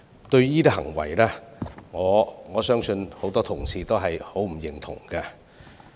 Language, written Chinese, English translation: Cantonese, 對於這些行為，我相信很多同事均不表認同。, I believe a number of Honourable colleagues disapprove of such behaviour